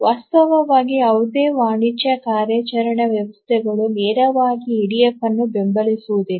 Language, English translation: Kannada, In fact, as we shall look at the commercial operating system, none of the commercial operating system directly supports EDF